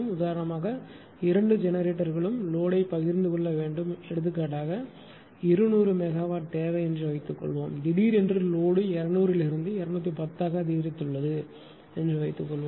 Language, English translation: Tamil, So, both the generators have to share the load for example, for example, ah suppose ah suppose demand was 200 megawatt ah right suppose suddenly load has increased from 200 to 210